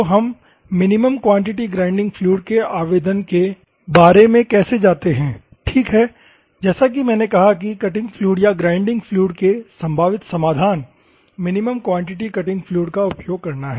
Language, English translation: Hindi, So, how do we go, about the application of minimum quantity grinding fluid, ok, as I said cutting fluid or grinding fluid; the probable solution is minimum quantity cutting fluid